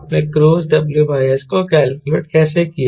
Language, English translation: Hindi, how did you calculate cruise w by s